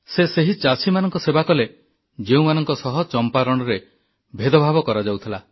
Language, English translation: Odia, He served farmers in Champaran who were being discriminated against